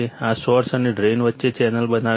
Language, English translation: Gujarati, This forms a channel between source and drain